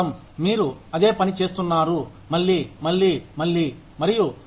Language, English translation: Telugu, You are doing the same thing, again, and again, and again, and again, and again